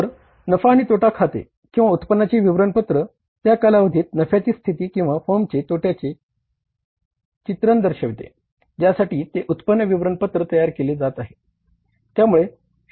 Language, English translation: Marathi, Whereas profit and loss account or the income statement depicts the picture of state of profit or loss of the firm for that period of time for which that income statement is being prepared